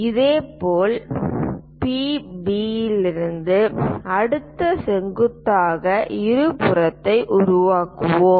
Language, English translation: Tamil, Similarly, construct the next perpendicular bisector from PB